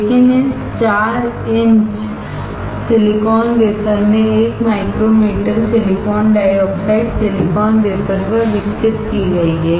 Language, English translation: Hindi, But this 4 inch silicon wafer has 1 micrometer of silicon dioxide grown on this silicon wafer